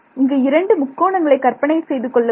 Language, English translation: Tamil, So, imagine 2 triangles over there right